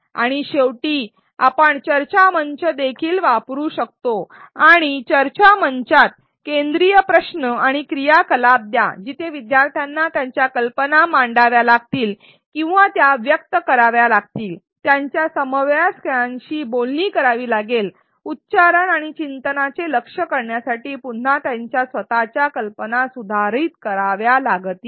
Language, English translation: Marathi, And finally, we can also use the discussion forum and give focus questions and activities within the discussion forum where learners have to put forth or articulate their ideas, negotiate with their peers, revise their own ideas again to target articulation and reflection